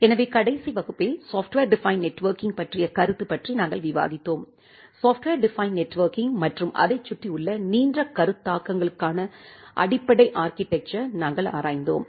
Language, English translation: Tamil, So, in the last class, we were discussing about the concept of software defined networking and we have looked into the basic architecture for the software defined networking and the broad concepts around that